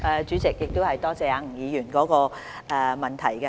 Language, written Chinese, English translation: Cantonese, 主席，多謝吳議員的補充質詢。, President I thank Mr NG for his supplementary question